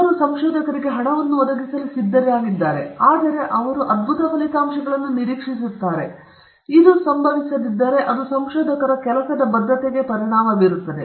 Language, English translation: Kannada, They are ready to fund the researchers with money, but they also expect results, and if this does not happen that will affect the job security of the researchers